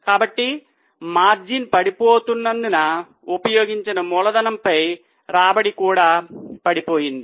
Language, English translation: Telugu, So, because of the falling margins, the return on the capital employed has also fallen